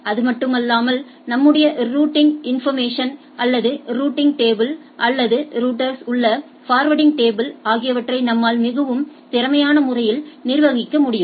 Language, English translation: Tamil, Not only that our I can manage the routing information or the routing table or the forwarding table in the router in a much efficient way right